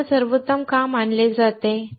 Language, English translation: Marathi, So, why they are considered best